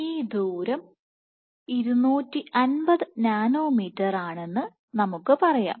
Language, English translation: Malayalam, So, let us let us say this distance is 250 nanometers